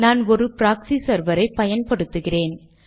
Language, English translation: Tamil, So we use a proxy server